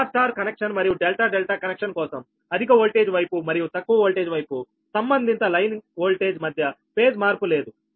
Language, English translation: Telugu, so in star star or delta delta connection, the ratio of the voltage on high voltage and low voltage side at the same as the ratio of the phase voltage on the high voltage and low voltage side